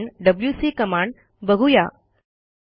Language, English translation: Marathi, The next command we will see is the wc command